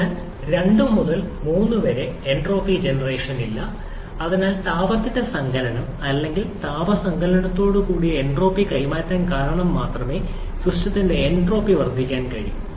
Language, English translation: Malayalam, Because you have to remember that it is an internally reversible cycle, therefore during 2 to 3 there is no entropy generation and so entropy of the system can only increase because of heat addition or entropy transfer with heat addition